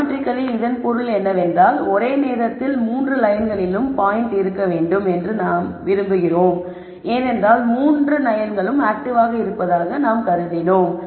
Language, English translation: Tamil, Geometrically what this means is we want the point to lie on all the 3 lines at the same time because we have assumed all 3 lines are active concerned